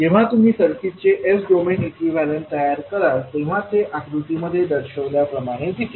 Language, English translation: Marathi, So when you create the s minus domain equivalent of the circuit, it will look like as shown in the figure